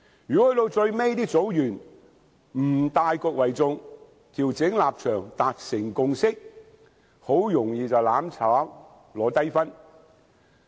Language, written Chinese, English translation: Cantonese, 如果組員在最後不以大局為重，調整立場，達成共識，很容易便會"攬炒"，拿低分。, If group members cannot give due regard to the overall situation and adjust their own positions for the sake of consensus building they are vulnerable to perishing together and score low marks in the examination